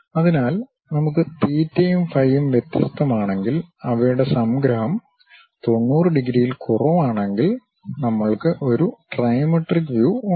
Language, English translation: Malayalam, So, if we are having theta and phi different and their summation is less than 90 degrees, we have trimetric view